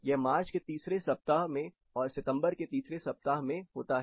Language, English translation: Hindi, It occurs twice that is March 3rd week of March and 3rd week of September